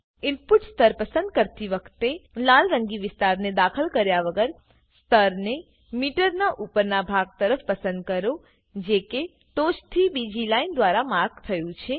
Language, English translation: Gujarati, When choosing the input level, select a level towards the upper portion of the meter without entering the red colored area, which is marked by the second line from the top